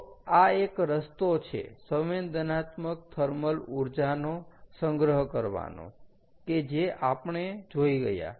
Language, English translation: Gujarati, so this is one way of sensible thermal energy storage, ok, which we have already seen